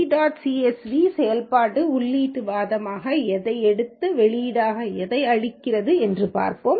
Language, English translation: Tamil, Let us look what does this read dot CSV function takes us an input argument and what it gives us an output